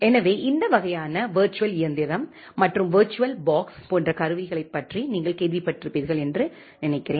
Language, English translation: Tamil, So, I think that you have heard about this kind of virtual machine, and the tools like virtual box